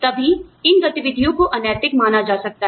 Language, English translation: Hindi, Only then, can these activities, be considered as unethical